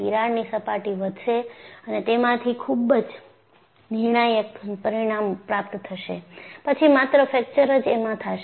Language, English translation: Gujarati, The cracks will grow in surface, attain a critical dimension; only then, fracture will occur